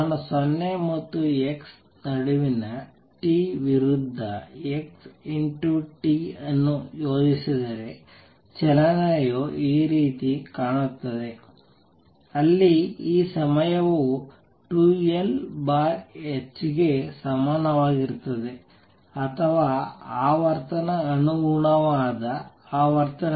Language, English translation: Kannada, If I plot x t versus t between 0 and x equals L the motion looks like this, where this time is equal to 2L over h or the frequency corresponding frequency 2L over v corresponding frequencies v over 2L